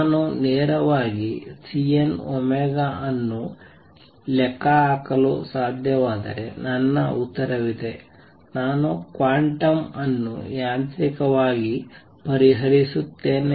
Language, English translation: Kannada, If I could calculate C n omega directly I have my answer I solve the problem quantum mechanically